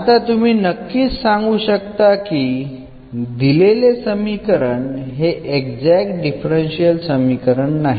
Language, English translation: Marathi, Of course, so, this equation given in this form is not an exact differential equation